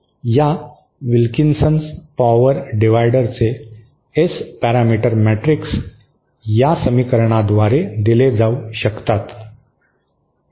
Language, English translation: Marathi, The S parameter matrix of this Wilkinson power divider can be given by this equation